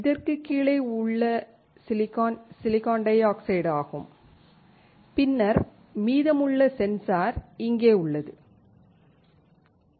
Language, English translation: Tamil, The silicon below this is SiO2, and then the rest of the sensor is here